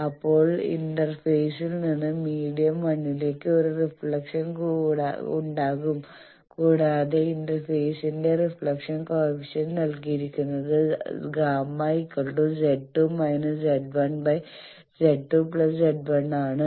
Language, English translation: Malayalam, Then from the interface there will be a reflection back to the medium 1 and that reflection coefficient of interface is given by Z 2 minus Z 1 sorry, there is a mistake Z 2 minus Z 1 by Z 2 plus Z 1